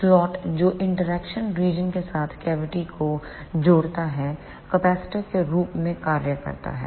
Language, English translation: Hindi, The slot which connects the cavity with the interaction region acts as a capacitor